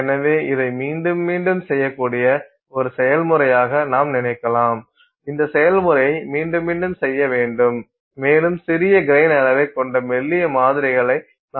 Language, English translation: Tamil, So, potentially you can think of this as a process which you can do in stages, repeated, repeat this process again and again and again and again and you will keep getting thinner and thinner and thinner samples which will have smaller and smaller grain size